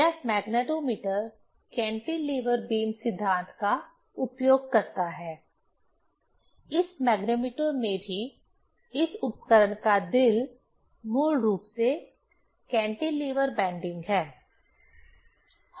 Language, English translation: Hindi, This magnetometer uses cantilever beam principle; in this magnetometer also, the heart of this instrument is basically the bending of the cantilever